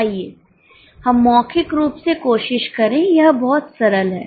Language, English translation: Hindi, Okay, let us try orally, it is very simple